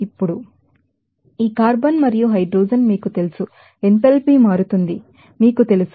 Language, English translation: Telugu, Now, this carbon and hydrogen are you know, that enthalpy changes, you know that